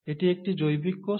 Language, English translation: Bengali, It is a biological cell